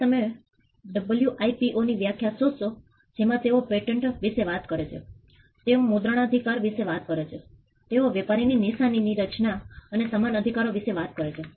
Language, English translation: Gujarati, Now you will find in the WIPOs definition that they talk about patents they talk about copyrights they talk about trademarks designs and similar rights